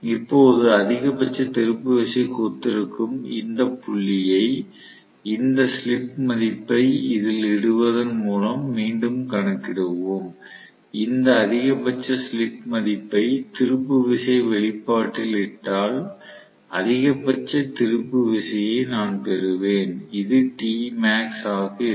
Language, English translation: Tamil, So, now this point which probably corresponds to the maximum torque right, that we will again calculate by substituting this slip value into this okay, if I substitute this maximum slip value into the torque expression I will get what is the maximum torque this is T max, we incidentally call that also as break down torque TBD